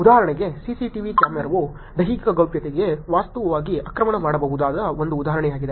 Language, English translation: Kannada, For example, a CCTV camera is one example where bodily privacy can be actually attacked